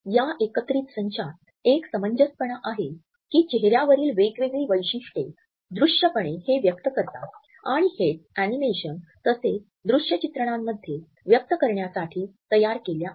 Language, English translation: Marathi, And it is an understanding of these bounding boxes that different facial features are created to visually express this idea in our animations as well as in our visuals